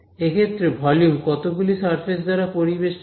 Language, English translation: Bengali, Now, in this case this volume one is bounded by how many surfaces